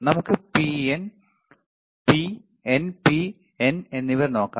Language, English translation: Malayalam, Let us see P, and N P and N